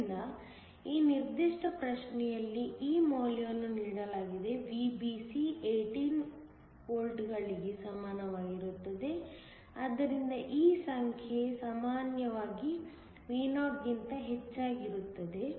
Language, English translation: Kannada, So, this value is given in this particular problem, VBC is equal to 18 volts, so that this number is usually much higher than Vo